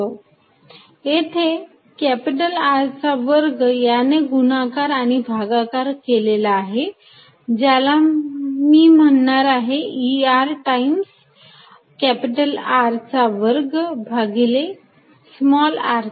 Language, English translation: Marathi, I have multiplied and divided by capital R square, which I am going to say E R times R square over r square